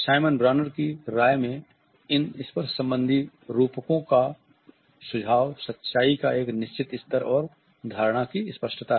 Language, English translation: Hindi, In the opinion of Simon Bronner, these tactual metaphors suggest is certain level of truth and a clarity of perception